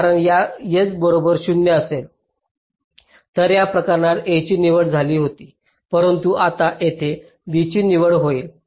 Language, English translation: Marathi, ok, this is not equivalent because if s equal to zero, in this case a was selected, but now here b will get be selected